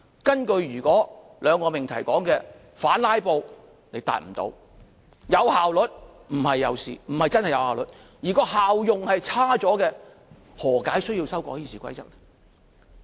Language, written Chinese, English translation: Cantonese, 根據兩個命題所說：反"拉布"，你無法達到；有效率，不是真的有效率，而效用卻變差，何解需要修改《議事規則》？, As far as the two propositions are concerned Your counter - filibuster tactic is not working; the alleged efficiency is not real efficiency and yet the effectiveness gets worse . Why should we amend the Rules of Procedure?